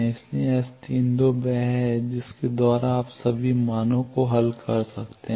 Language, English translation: Hindi, So, S 32 is the by that you can solve for all the values